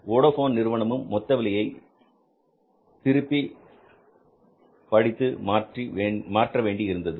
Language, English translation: Tamil, Vodafone, they had to redo the whole pricing system